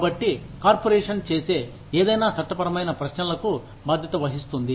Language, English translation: Telugu, So, anything that the corporation does, is liable to legal questioning